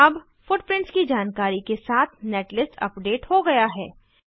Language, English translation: Hindi, Now the netlist is updated with footprints information